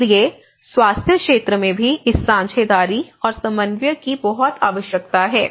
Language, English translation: Hindi, So, this partnership and coordination is very much needed in the health sector as well